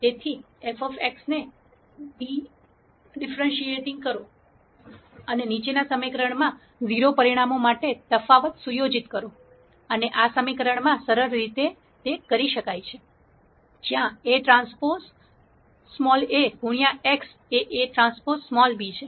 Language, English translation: Gujarati, So, differentiating f of x and setting the differential to 0 results in the fol lowing equation, and this can be simplified to this equation, where a transpose a times x is a transpose b